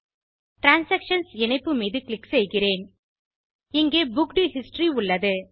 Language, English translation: Tamil, Let me click the transaction link and you have booked history